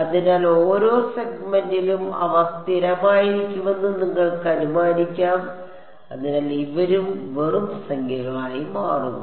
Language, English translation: Malayalam, So, you can assume them to be piecewise constant in each segment so, then these guys also just become numbers